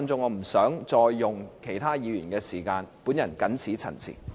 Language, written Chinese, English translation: Cantonese, 我不想再用其他議員的時間，謹此陳辭。, I do not want to use up other Members time . I so submit